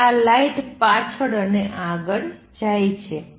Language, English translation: Gujarati, And this light goes back and forth